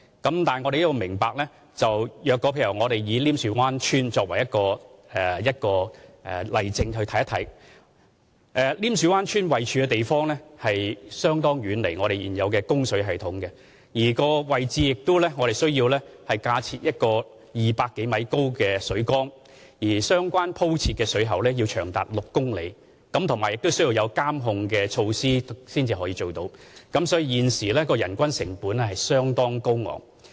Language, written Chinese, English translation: Cantonese, 但大家要明白，以稔樹灣村為例，稔樹灣村的位置相當遠離現有的供水系統，如要在該位置建造自來水供應系統，我們需要架設一個200多米高的水缸，鋪設的水管也長達6公里，並且需要配以監控措施，所以，現時人均成本相當高昂。, But Members need to understand that taking Nim Shue Wan Village as an example it is considerably far away from existing water supply systems . To build a treated water supply system at that location we will need to erect a 200 - odd metre tall water tank and lay over 6 km of water mains . And it will need to be complemented with monitoring facilities resulting in a very high per capita construction cost